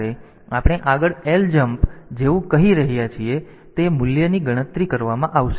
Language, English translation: Gujarati, So, here when we are saying like ljmp next so, ljmp next so, it is